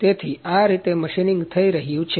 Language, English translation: Gujarati, So, this is how the machining is happening